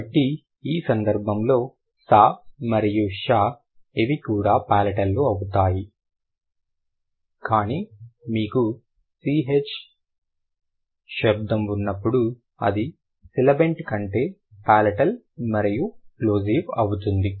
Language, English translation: Telugu, So, in this case, sure and sure these are also palatal, but when you have the cheer sound, it is palatal but a plosive rather than a sibilant